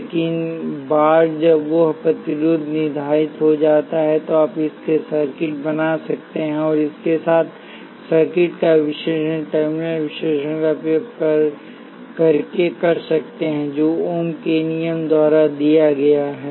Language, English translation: Hindi, But once that resistance is determine, you can make circuits with it and analyze circuits with it by using the terminal characteristic which is given by ohm’s law